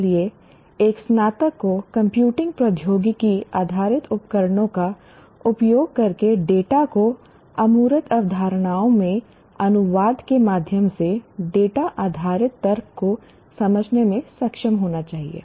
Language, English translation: Hindi, So a graduate should be able to understand data based reasoning through translation of data into abstract concepts using computing technology based tools